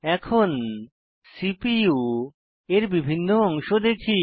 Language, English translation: Bengali, Now, let us see the various parts of the CPU